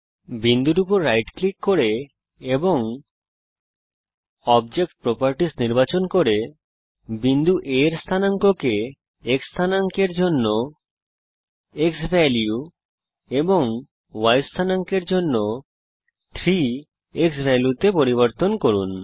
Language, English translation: Bengali, Change the coordinates of point A by right clicking on the point and selecting object properties, to xValue for the X coordinate and 3 times xValue for the Y coordinate